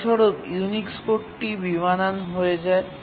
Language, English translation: Bengali, And the result is that Unix code became incompatible